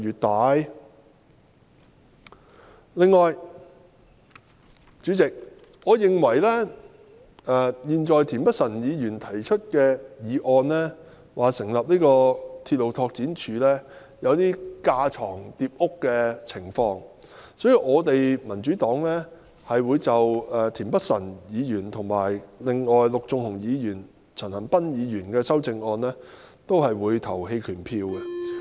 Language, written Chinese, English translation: Cantonese, 代理主席，我認為田北辰議員的議案要求成立獨立鐵路拓展署有一點架床疊屋的情況，因此我們民主黨會就田北辰議員的議案，以及陸頌雄議員和陳恒鑌議員的修正案投棄權票。, Deputy President I think that Mr Michael TIENs proposal of setting up an independent railway development department in his motion is somewhat duplicating efforts and therefore the Democratic Party will abstain from voting on Mr Michael TIENs motion as well as the amendments of Mr LUK Chung - hung and Mr CHAN Han - pan